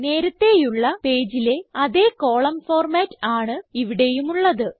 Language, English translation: Malayalam, This page contains the same column format as on the previous page